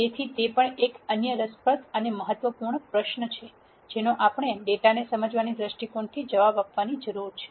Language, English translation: Gujarati, So, that is also another interesting and important question that we need to answer from the viewpoint of understanding data